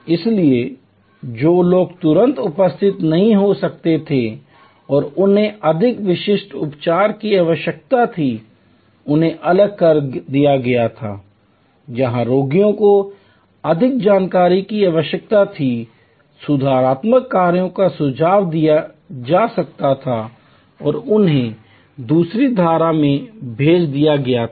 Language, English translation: Hindi, So, people who could not immediately be attended to and needed much more specialized treatment were segregated, patients where more information were needed, corrective actions could be suggested and they were send on another stream